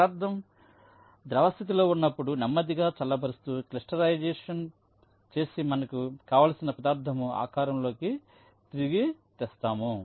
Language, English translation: Telugu, we slowly cool the liquid state that material and the material will be finally crystallizing and will take the shape of the material that we want it to have